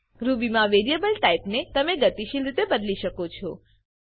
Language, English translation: Gujarati, In Ruby you can dynamically change the variable type